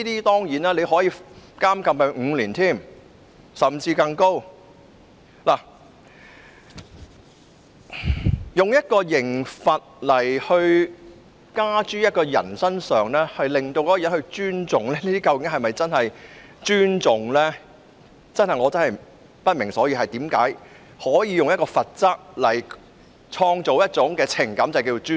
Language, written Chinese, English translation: Cantonese, 當然，它可處以5年的刑期甚或更高，但透過刑罰方式迫使人們尊重，究竟又是否真正的尊重呢？我真的不明所以，為何能以罰則創造一種名為尊重的情感？, Certainly a penalty of five years or above could have been imposed . Nevertheless if punishment is used to force people to show respect would such respect be genuine respect?